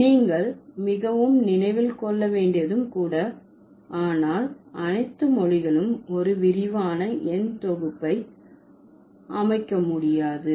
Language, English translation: Tamil, So, you need to remember, most but not all languages can form an extensive set of numerals